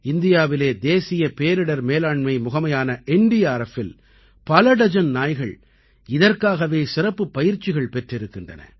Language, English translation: Tamil, In India, NDRF, the National Disaster Response Force has specially trained dozens of dogs